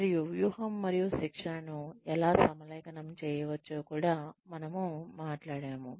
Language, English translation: Telugu, And, we had also talked about, how one can align strategy and training